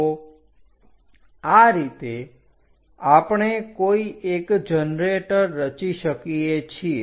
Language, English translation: Gujarati, So, this is the way we will construct one of the generator